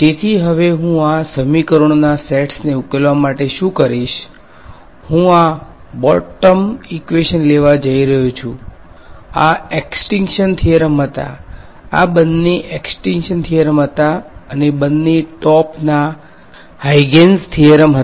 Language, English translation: Gujarati, So, what I will do is now to solve these sets of equations, I am going to take these bottom equations these were the extinction theorems; both of these were extenction theorems and both the top ones were the Huygens theorems